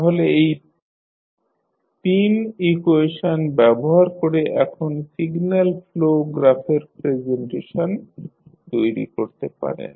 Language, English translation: Bengali, So, using these 3 equations, you have now created the signal flow graph presentation of the system